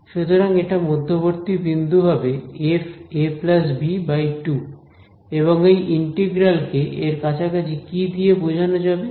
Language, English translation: Bengali, So, that is the midpoint right f of a plus b by 2 and approximate this integral by what